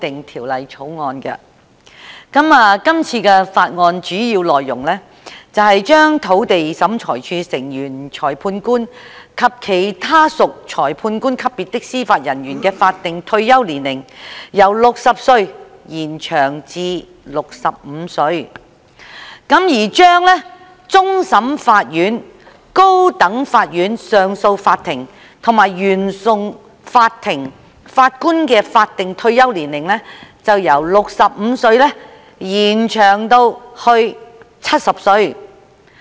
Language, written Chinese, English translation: Cantonese, 《條例草案》的主要內容是把土地審裁處成員、裁判官及其他屬裁判官級別的司法人員的法定退休年齡，由60歲延展至65歲，以及把終審法院、高等法院上訴法庭及原訟法庭法官的法定退休年齡，由65歲延展至70歲。, The Bill is mainly about extending the statutory retirement age for Members of the Lands Tribunal Magistrates and other Judicial Officers at the magistrate level from 60 to 65 and also extending the statutory retirement age for Judges of the Court of Final Appeal CFA Court of Appeal and Court of First Instance of the High Court from 65 to 70